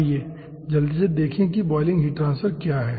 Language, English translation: Hindi, let us quickly see what is boiling heat transfer actually